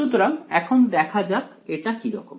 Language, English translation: Bengali, So, let us see what it is like ok